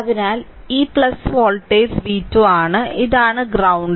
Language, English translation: Malayalam, Right and this voltage is v 1 means